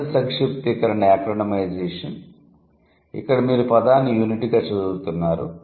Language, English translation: Telugu, So, in one way, like the first shortening is acronymization where you are reading the word as a unit